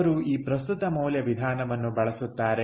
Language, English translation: Kannada, so he is going to use this present value method